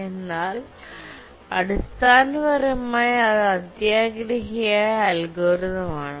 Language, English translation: Malayalam, So basically a greedy algorithm